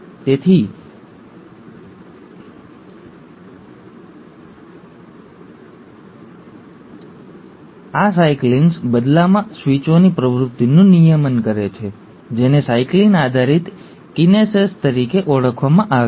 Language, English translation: Gujarati, So these cyclins, in turn regulate the activity of switches which are called as the ‘cyclin dependent kinases’